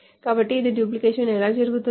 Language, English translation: Telugu, So that is how the duplication is done